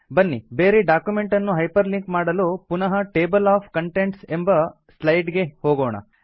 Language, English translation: Kannada, To hyperlink to another document, lets go back to the Table of Contents slide